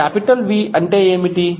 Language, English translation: Telugu, What is capital V